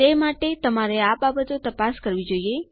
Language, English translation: Gujarati, Thats why you should check these things